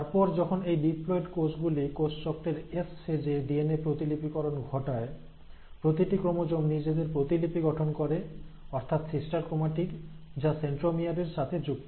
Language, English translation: Bengali, And then when this diploid cell undergoes DNA replication at the S phase of cell cycle, each of the chromosome will then give rise to its copy, that is a sister chromatid, it has attached at the centromere